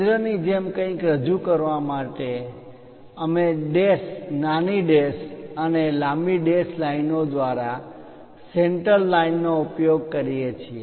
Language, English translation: Gujarati, To represents something like a center we use center line by dash, small dash and long dash lines